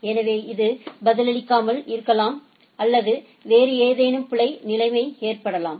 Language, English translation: Tamil, So that means it is it may not be responding or some other error situation arises